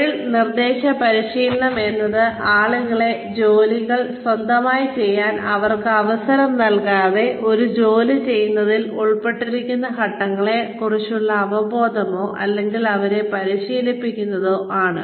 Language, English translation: Malayalam, Job instruction training is an awareness of, or training people about the steps involved, in doing a job, without actually having them or giving them a chance to do these jobs on their own